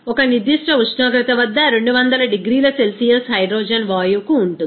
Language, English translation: Telugu, At a particular temperature is around 200 degrees Celsius for hydrogen gases